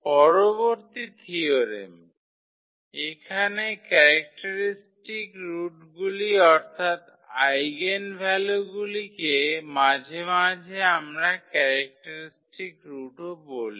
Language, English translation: Bengali, Next theorem, so here the characteristic roots I mean the eigenvalues so sometimes we also call the characteristic roots